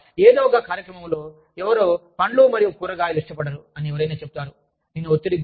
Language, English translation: Telugu, Maybe, in some program, somebody would say, why do not like, fruits and vegetables